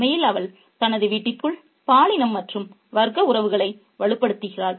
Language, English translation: Tamil, In fact, she reinforces the gender and class relationships within her household space